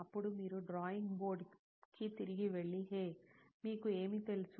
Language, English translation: Telugu, Then you need to go back to the drawing board and say, hey, you know what